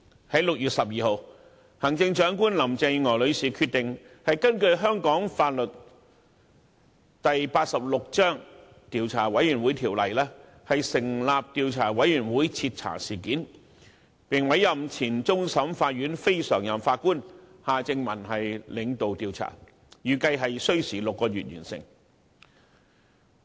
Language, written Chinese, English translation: Cantonese, 在6月12日，行政長官林鄭月娥女士決定根據香港法例第86章《調查委員會條例》成立獨立調查委員會徹查事件，並委任前終審法院非常任法官夏正民領導調查，預計需時6個月完成。, On 12 June Chief Executive Mrs Carrie LAM decided to establish an independent Commission of Inquiry under the Commissions of Inquiry Ordinance to conduct a comprehensive investigation and appointed former non - permanent Judge of the Court of Final Appeal Mr Michael John HARTMANN to lead the inquiry which is expected to take six months